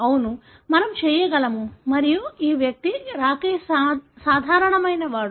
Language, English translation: Telugu, Yes, we can and this guy, Rakesh is normal